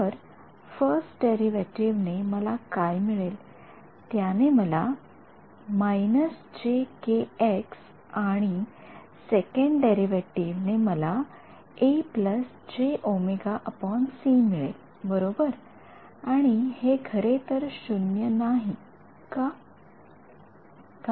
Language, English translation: Marathi, So, the first derivative what will it give me, it will give me a minus j k x and the second derivative gives me a plus j omega by c right and this is actually not equal to 0 why